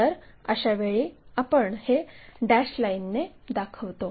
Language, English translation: Marathi, So, in that case we will show it by dashed lines